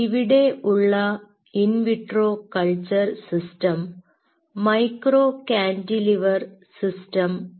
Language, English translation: Malayalam, and in vitro culture system out here is micro cantilever system